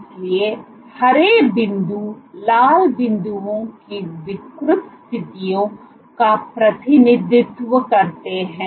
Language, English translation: Hindi, So, the green dots represent deformed positions of the red dots